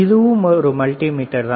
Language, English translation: Tamil, This is also a multimeter all right